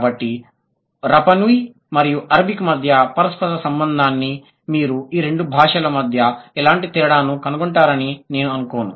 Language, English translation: Telugu, So, the correlation between Rapa Nui and Arabic, I don't think you would find out any kind of difference between these two languages